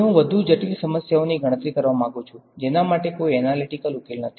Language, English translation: Gujarati, Now I want to calculate more complicated problems for which there is no analytical solution